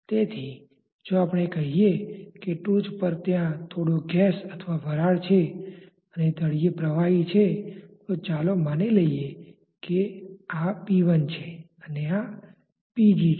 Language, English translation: Gujarati, So, if we say that at the top there is some gas or vapour, and at the bottom there is a liquid then let us say this is p liquid and let us say this is p gas